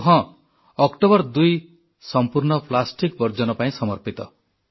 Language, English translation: Odia, And 2nd October as a day has been totally dedicated to riddance from plastic